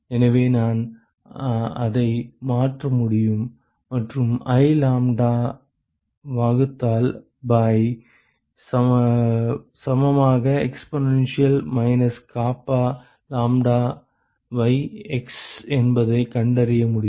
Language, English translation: Tamil, So, I can substitute that and I can find out that I lambda divided by equal to exponential of minus k lambdax